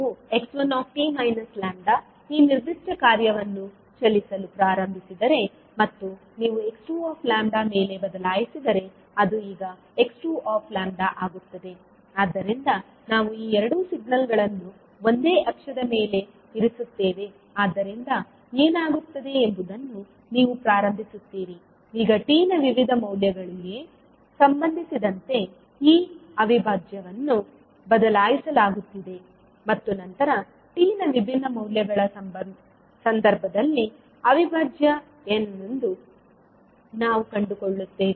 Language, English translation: Kannada, now if you start moving this particular function that is x one t minus lambda and you shift over x2 lambda because here it will become now x2 lambda, so we will put both of these signal on the same axis so what will happen you will start now shifting this integral with respect to the various values of t and then we will find out what would be the integral in the cases of different values of t